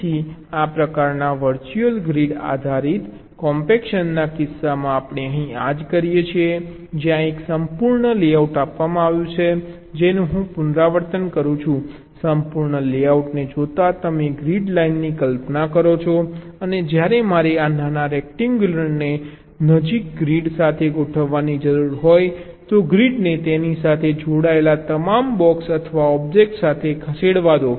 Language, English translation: Gujarati, so this is exactly what we do here in case of ah, this kind of virtual grid based compaction where, given a complete layout which i am repeating, given the complete layout you imagine grid lines and as when i am required to align this small rectangles to the nearest grid, then let the grids move with all the attached blocks or objects with it